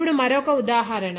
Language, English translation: Telugu, Then, another example